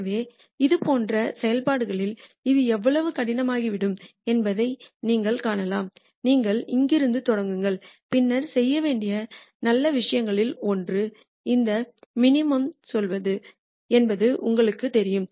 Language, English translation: Tamil, So, you can see how hard it can become in case of functions like this, where if you if you let us say, you start from here, then clearly you know one of the good things to do would be to go to this minimum